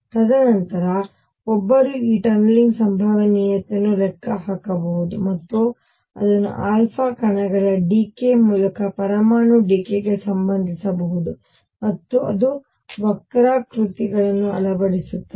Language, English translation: Kannada, And then one can calculate this tunneling probability and relate that to the decay of nuclear through alpha particle decay and that fitted the curves